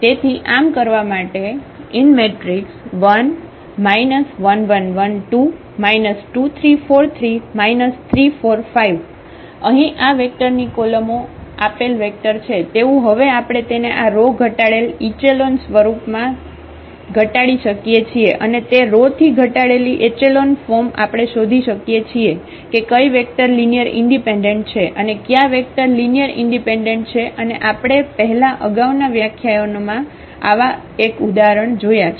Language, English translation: Gujarati, Having this vector here whose columns are the given vectors we can now reduce it to this row reduced echelon form and from that row reduced echelon form we can find out that which vectors are linearly independent and which vectors are linearly dependent and we have seen one such example before in previous lectures